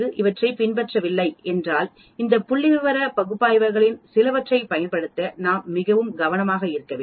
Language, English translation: Tamil, So if does not follow then we have to be very careful to use some of these statistical analysis and statistical test we need to remember them